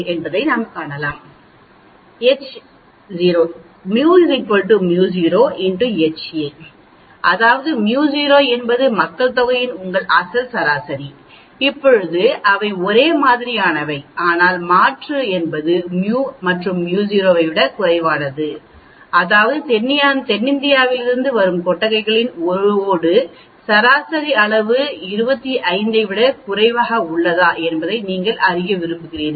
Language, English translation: Tamil, Simple, H0 is equal to mu equal to mu naught, that is mu naught is your original mean of the population, now they are same but alternate is mu is less than mu naught that means, you want to know whether the average size of the barnacle shell from South India is less than this 25